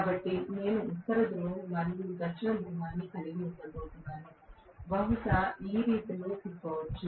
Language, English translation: Telugu, So, I am going to have the North Pole and South Pole, maybe being rotated in this direction